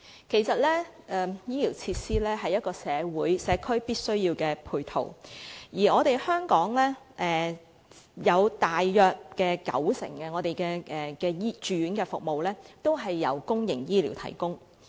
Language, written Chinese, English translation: Cantonese, 其實，醫療設施是社區的必要配套，而香港大約有九成的住院服務由公營醫療系統提供。, As a matter of fact healthcare facilities are essential ancillary facilities in the community and about 90 % of the inpatient services in Hong Kong are provided by the public healthcare system